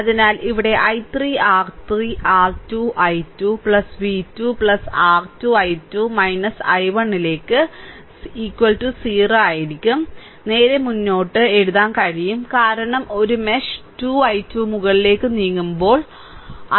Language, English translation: Malayalam, So, here i 3 R 3 R 2 i 2 plus v 2 plus R 2 into i 2 minus i 1 is equal to 0, straight forward, you can write, right because when you are moving in a mesh 2 i 2 is upward